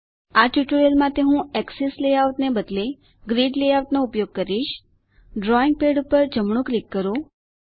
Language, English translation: Gujarati, For this tutorial I will use Grid layout instead of Axes,Right Click on the drawing pad